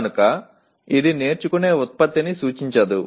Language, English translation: Telugu, So it is not a does not represent the product of learning